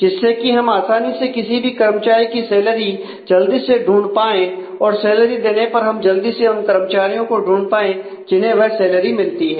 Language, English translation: Hindi, So, that we can quickly find the salary of and given the salary of an employee we can quickly find the employee or the employees who get that salary